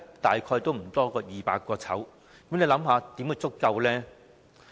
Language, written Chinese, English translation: Cantonese, 大概不多於200個，試問怎會足夠？, Roughly less than 200 . How will they be sufficient?